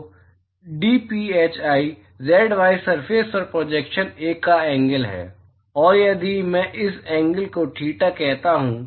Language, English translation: Hindi, So dphi is the angle of the projection on the z y plane, and if I call this angle theta